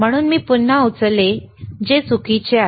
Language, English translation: Marathi, So, again I have lifted, which it is wrong,